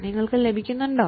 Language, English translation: Malayalam, Are you getting me